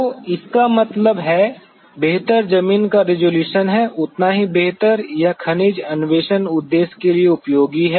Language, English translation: Hindi, So, that means, the better the ground resolution better it is useful for mineral exploration purpose